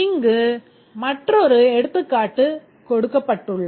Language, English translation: Tamil, There is another example here